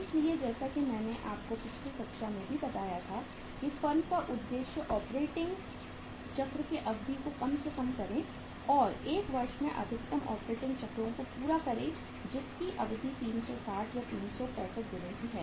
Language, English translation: Hindi, So there as I told you in the last class also the objective of the firm should be to minimize the duration of the operating cycle and to complete maximum operating cycles in a year, in a period of 360 or 365 days